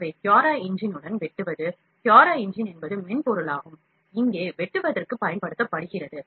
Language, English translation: Tamil, So, slicing with CuraEngine so, CuraEngine is the software that is used for slicing here